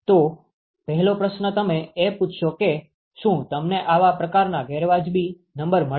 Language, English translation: Gujarati, So what will be the first question that you would ask if you get such kind of unreasonable numbers